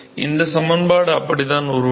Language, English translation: Tamil, In fact, that is how the this equation is derived